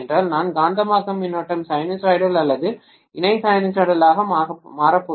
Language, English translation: Tamil, I am going to have magnetizing current becomes sinusoidal or co sinusoidal it doesn’t matter